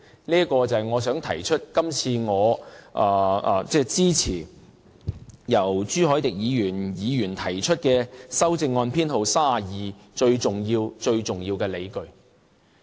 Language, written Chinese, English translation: Cantonese, 這是我今次支持朱凱廸議員提出修正案編號32最重要的理據。, This is the most significant justification for my support to Amendment No . 32 moved by Mr CHU Hoi - dick